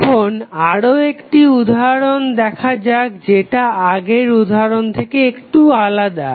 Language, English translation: Bengali, Now, let us see another case which is different from our previous example